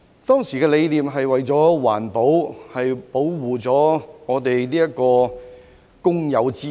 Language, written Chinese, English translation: Cantonese, 當時的理念是環保及保護公有資產。, The idea back then was environment protection and protection of public assets